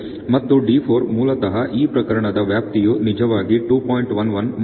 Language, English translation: Kannada, And D4 basically the range in this case which is actually 2